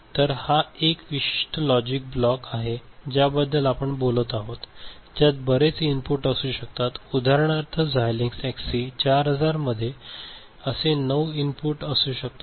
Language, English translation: Marathi, So, this is one particular logic block we are talking about can have many inputs for example, Xilinx XC4000 can have nine such inputs ok